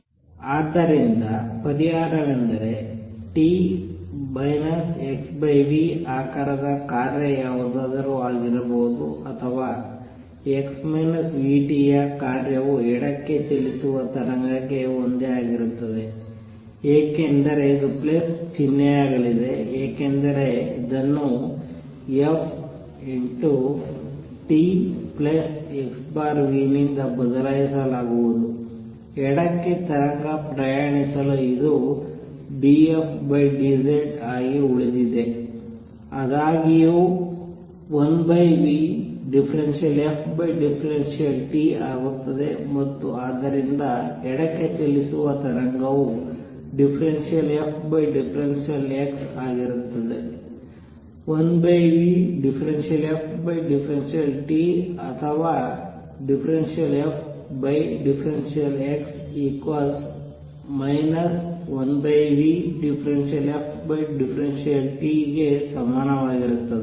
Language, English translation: Kannada, So, solution is the function of t minus x over v shape could be anything or a function of x minus v t is the same thing for the wave traveling to the left is going to be a plus sign because this is going to be replaced by f t plus x over v for wave travelling to the left this remains d f by d z this; however, becomes plus one over v partial f partial t and therefore, for the wave travelling to the left is going to be partial f by partial x is equal to plus 1 over v partial f by partial t or partial f partial x is minus one over v partial f partial t